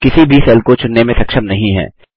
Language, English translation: Hindi, We are not able to select any cell